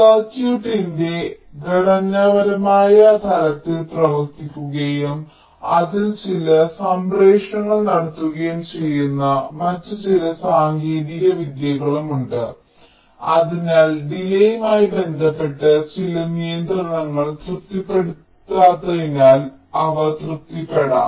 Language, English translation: Malayalam, but there is some other techniques also which work at the structural level of the circuit and carry out some transmissions therein, so that some of the ah, delay related constraints, which are not otherwise getting satisfied, they can be satisfied, ok